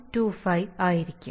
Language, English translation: Malayalam, 25 it will be right